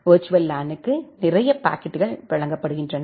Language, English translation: Tamil, Virtual LAN is basically given a packet a set of packets